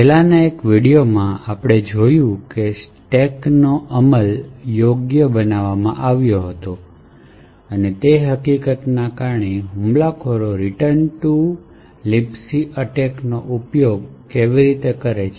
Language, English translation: Gujarati, In one of the previous videos we see how attackers use the return to libc attack to overcome the fact that this stack was made non executable